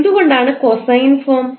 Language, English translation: Malayalam, Why cosine form